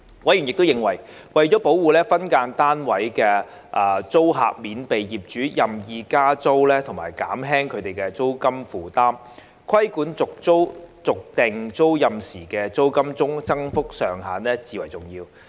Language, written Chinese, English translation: Cantonese, 委員亦認為，為了保護分間單位租客免被業主任意加租和減輕他們的租金負擔，規管續訂租賃時的租金增幅上限至為重要。, Members also consider it crucial to set a cap on the rate of rent increase on tenancy renewal in order to protect SDU tenants from arbitrary rent increases by the landlord and to lower their rental burden